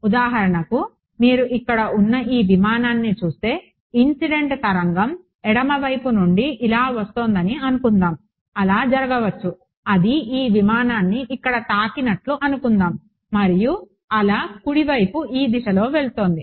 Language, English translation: Telugu, For example, if you look at this aircraft over here let us say the incident wave is coming from the left hand side like this its possible that you know it hits this aircraft over here and the wave goes off in this direction right